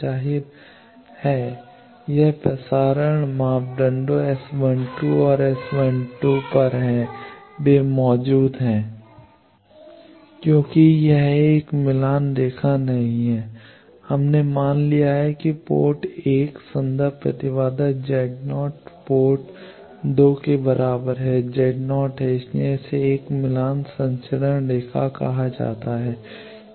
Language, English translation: Hindi, Obviously, it is on the transmission parameters S 12 and S 21 they are present it does not have because it is a match line we have assumed that port 1 reference impedance is equal to Z naught port 2 is also Z naught that that is why it is called a matched transmission line